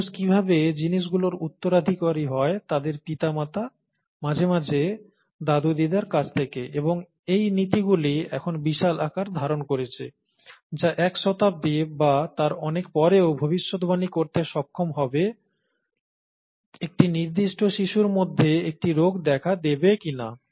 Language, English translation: Bengali, How human beings inherit things from their parents, often their grandparents, and so on, the principles of that, and that has become huge now, may be a century later, much more than a century later to be able to predict whether a disease would occur in a certain child, and so on